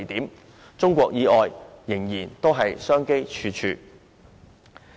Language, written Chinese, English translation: Cantonese, 在中國以外，我們仍然商機處處。, There are still plenty of business opportunities available for us outside China